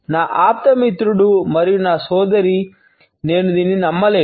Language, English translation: Telugu, My best friend and my sister I cannot believe this